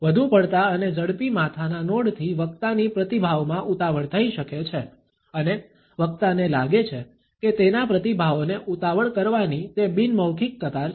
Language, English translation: Gujarati, In excessive and rapid head nod can rush a response on the part of the speaker and the speaker may feel that it is a nonverbal queue to hurry up his or her responses